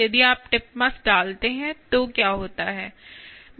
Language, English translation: Hindi, what happens if you put the tip mass